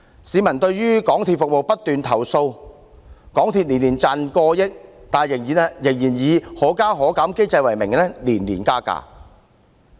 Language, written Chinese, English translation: Cantonese, 市民對港鐵服務不斷作出投訴，港鐵公司每年賺取過億元，但仍以"可加可減"機制之名，年年加價。, The public keeps complaining about MTRCLs services and although it earns more than 100 million in profit annually it still imposes fare increases every year under the mechanism that allows fares to go upwards and downwards